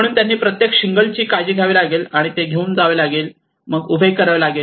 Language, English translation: Marathi, So they have to take care of each and every shingle out, and carry it, and place it, and erect it